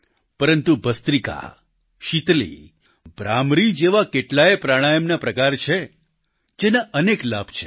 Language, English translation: Gujarati, But there are many other forms of Pranayamas like 'Bhastrika', 'Sheetali', 'Bhramari' etc, which also have many benefits